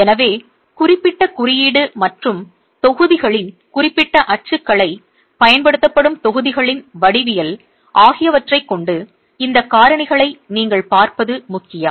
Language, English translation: Tamil, So, it's important that you are looking at these factors with reference to the specific code and the specific typology of blocks, geometry of blocks that are being used